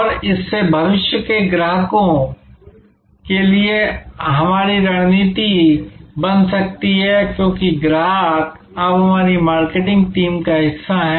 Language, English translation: Hindi, And that can lead to our strategy for future customers, because the customer is now part of our marketing team